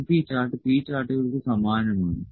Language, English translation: Malayalam, np chart is similar to the P charts